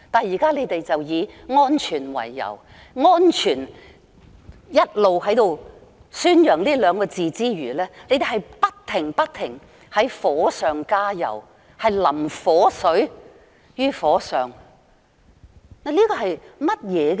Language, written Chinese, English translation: Cantonese, 現在，你們以安全為理由，一邊宣揚"安全"這兩個字，還一邊不停地火上加油，把火水澆在火上。, Now you people put forth safety as the reason . On the one hand you people advocate a necessity for safety and on the other hand you people keep adding fuel to the fire―pouring kerosene on the fire to be precise